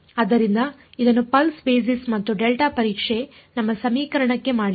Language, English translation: Kannada, So, this is what pulse basis and delta testing has done to our equation